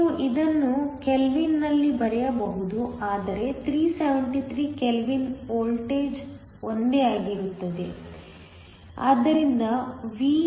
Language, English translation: Kannada, You can write this in Kelvin, so that is 373 kelvin the voltage is the same